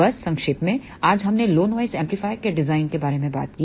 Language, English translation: Hindi, So, just to summarize today we talked about how to design low noise amplifier